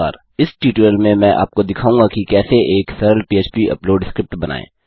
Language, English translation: Hindi, In this tutorial Ill show you how to create a simple php upload script